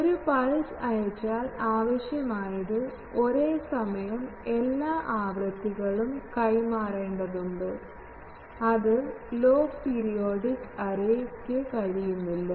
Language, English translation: Malayalam, If I send a pulse to them, it needs that simultaneously all the frequencies need to be passed, that cannot be passed by this log periodic array